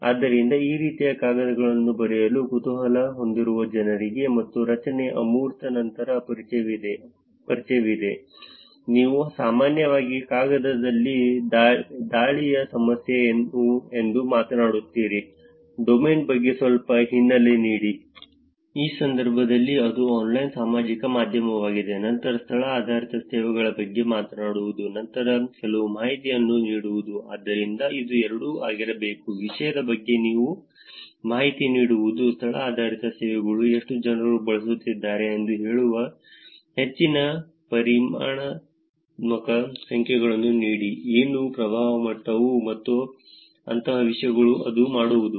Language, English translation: Kannada, So for people who are curious about writing papers like this, the structure it is – abstract, then there is introduction, introduction you generally talk about what the problem of attack in the paper is, give some background about the domain in this case it is online social media then talking about location based services, then giving some information about, so it has to be both, giving information about the topic location based services, give more of quantitative numbers also saying how many people are using it, what level of impact is it making and things like that